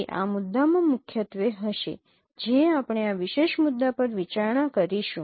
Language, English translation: Gujarati, That would be primarily the issue what we will be considering in this particular topic